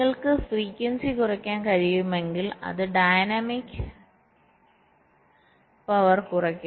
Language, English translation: Malayalam, so if you can reduce the frequency, that will also result in less dynamics power